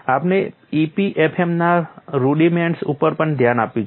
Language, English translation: Gujarati, We have also looked at rudiments of EPFM